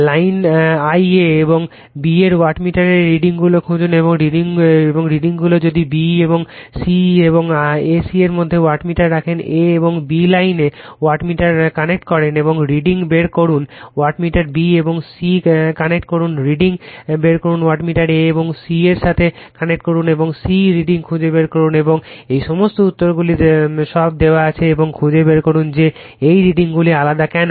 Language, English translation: Bengali, Find the readings of wattmeter in lines 1 a and b and the readings also , if, you put wattmeter in b and c and a c having , you connect the wattmeter in line a and b and find out the reading; you connect the wattmeter b and c , find out the reading you connect the wattmeter a and c find out the reading and all these answers are given all the and and you you are what you call and you find out why this readings are different right